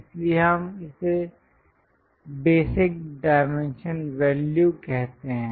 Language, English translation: Hindi, So, we call that as basic dimension value